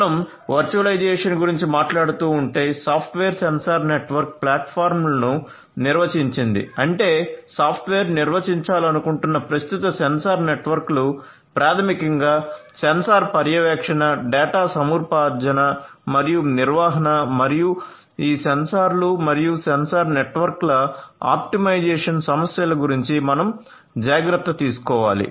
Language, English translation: Telugu, So, if we are talking about the virtualization, the software defined sensor network platforms; that means, the existing sensor networks you want to make them software defined if you want to do that what you need to take care of is basically issues of number 1 sensor monitoring, number 2 data acquisition and number 3 management and optimization of these sensors and sensor networks